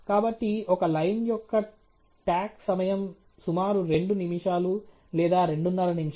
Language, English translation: Telugu, So, the tack time of a line is something like about two minutes or two and half minutes